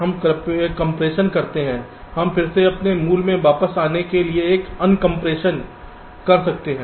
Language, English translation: Hindi, we can again do a un compression to get back to our original